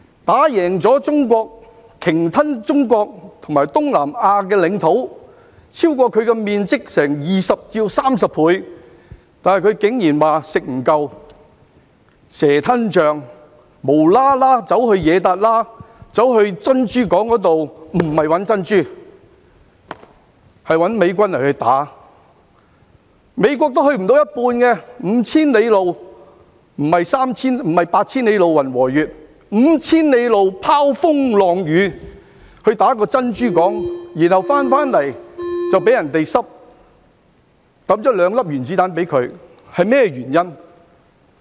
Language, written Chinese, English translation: Cantonese, 打贏中國，鯨吞中國和東南亞的領土，超過其土地面積20倍至30倍，但她竟然說"食不夠"，蛇吞象，"無啦啦走去惹撻瘌"，前去珍珠港，不是找珍珠，而是打美軍，美國也去不到一半 ，5,000 里路——不是八千里路雲和月——拋風浪雨，他們攻打珍珠港，然後回來後卻被人投擲兩顆原子彈，是甚麼原因呢？, After defeating China and annexing the territories of China and Southeast Asia measuring 20 to 30 times bigger than her own land area Japan outrageously did not stop but wanted more and driven by insatiable greed she stirred up troubles for no reason . She went to Pearl Harbor not to look for pearls but to fight the American army . The United States was not even half way there given a distance of 5 000 miles apart―not 8 000 miles of clouds and moon―Braving the winds and rain they attacked Pearl Harbor and then after their return they ended up with two atomic bombs being dropped on them